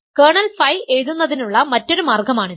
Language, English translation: Malayalam, This is just a different way of writing kernel phi